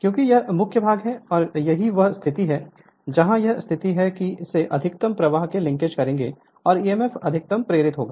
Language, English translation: Hindi, Because this is the main portion and this is the position right this is the position that where the maximum that these will link the maximum flux and emf will be induced maximum right